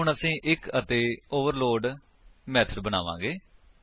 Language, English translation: Punjabi, So we will create one more overload method